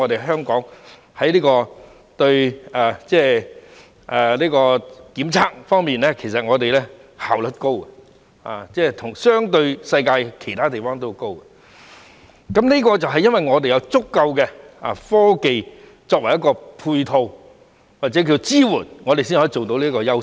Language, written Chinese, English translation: Cantonese, 香港在檢測方面的效率很高，相對於世界其他地方也很高，這是由於我們有足夠的科技作為配套或支援，才可以發揮這個優勢。, Testing is highly efficient in Hong Kong as compared to other parts of the world . This is because we have sufficient complementary or supporting technologies which give this advantage full play